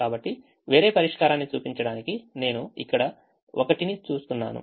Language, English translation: Telugu, so just to show a show different solution, i am just looking at one here